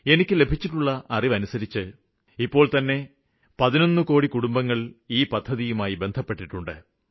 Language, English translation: Malayalam, The preliminary information that I have, notifies me that from launch till date around 11 crore families have joined this scheme